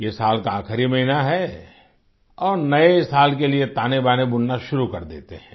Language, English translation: Hindi, " This is the last month of the year and one starts sketching out plans for the New Year